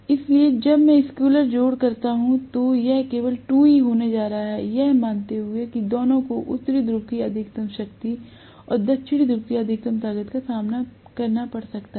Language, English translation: Hindi, So, when I do the scalar addition, it is going to be simply 2E, assuming that both of them are facing the maximum strength of North Pole and maximum strength of South Pole